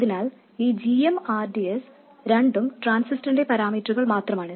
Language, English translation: Malayalam, So this GM RDS both are just parameters of the transistor